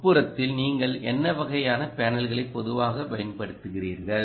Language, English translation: Tamil, what kind of panels do you typically use in indoor right